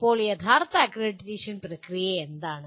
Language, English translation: Malayalam, Now, what is the actual accreditation process